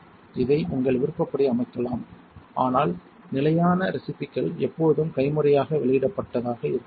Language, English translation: Tamil, You may set this to your preference, but the standard recipes should always remain manually vented